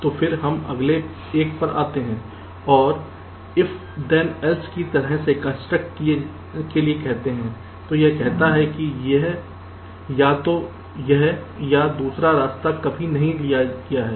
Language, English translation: Hindi, lets say, for an if then else kind of a construct, this says that either the then or the else path is never taken